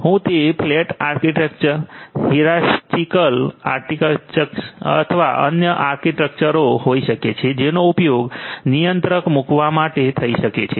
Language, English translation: Gujarati, Whether it is going to be flat architecture, hierarchical architecture or other architectures that might be used to place the controller